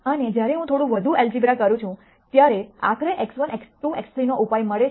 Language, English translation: Gujarati, And when you further simplify it you get a solution x 1 equals 0, x 2 equal to 5